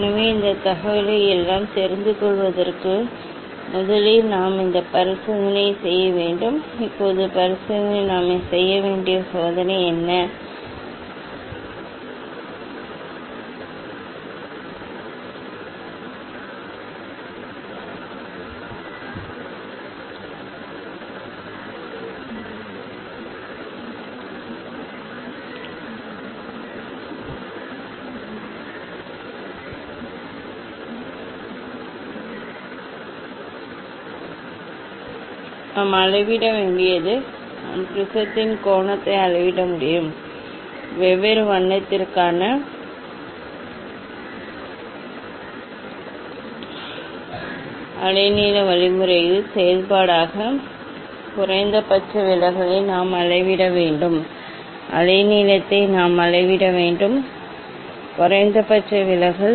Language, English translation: Tamil, so for knowing this all this information first we have to do this experiment, Now, what is the experiment we have to we have in the experiment we have to measure the we have to measure the angle of prism ok; and we have to measure the minimum deviation as a function of wavelength means for different colour, we have to measure the wave length ok, minimum deviation